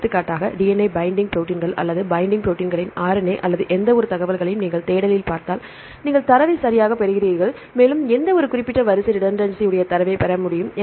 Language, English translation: Tamil, For example DNA binding proteins or the RNA of binding proteins or any information right if you give the see the in the search, you search the correctly you get the data and it is also possible to get the data with any specific sequence redundancy